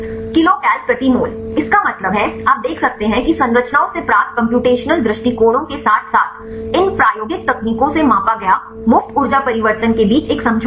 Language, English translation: Hindi, 5 kilocal per mole; that means, you can see there is an agreement between the computational approaches obtained from structures as well as the free energy change they measured from these experimental techniques